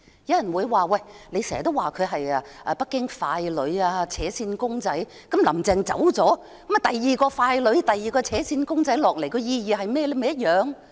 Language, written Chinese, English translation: Cantonese, 有人會說，我經常指她是北京傀儡、"扯線公仔"，即使"林鄭"下台，也有另一個傀儡、"扯線公仔"上台，當中有何意義？, Some people would say that as I often refer to Carrie LAM as Beijings puppet or a marionette even if she steps down another puppet or marionette will come to power so what is the significance of it?